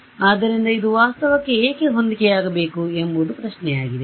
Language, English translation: Kannada, Yeah, so, why it should this correspond to reality is the question right